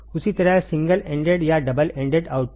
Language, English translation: Hindi, Same way single ended or double ended output